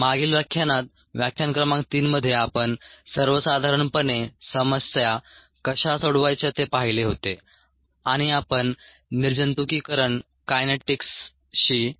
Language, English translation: Marathi, in the last lecture, lecture number three, we had looked at ah how to solve ah problems in general and we solved a problem related to these sterilization kinetics